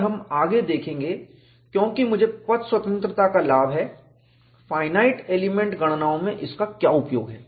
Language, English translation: Hindi, And, you would see further, because I have advantage of path independence, what is the use of it, in finite element calculations